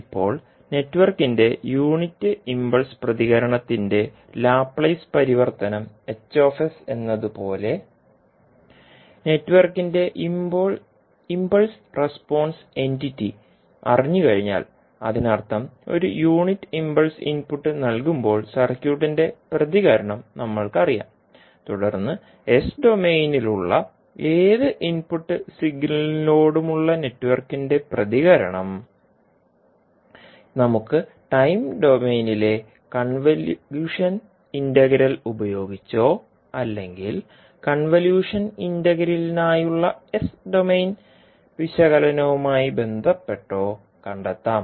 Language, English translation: Malayalam, Now, as H s is the Laplace transform of the unit impulse response of the network, once the impulse response entity of the network is known, that means that we know the response of the circuit when a unit impulse input is provided, then we can obtain the response of the network to any input signal in s domain using convolution integral in time domain or corresponding the s domain analysis for convolution integral